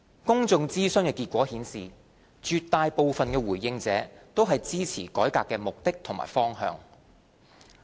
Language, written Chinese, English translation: Cantonese, 公眾諮詢結果顯示絕大部分的回應者均支持改革的目的和方向。, The results of the public consultation indicated that an overwhelming majority of the respondents supported the objective and direction of the reform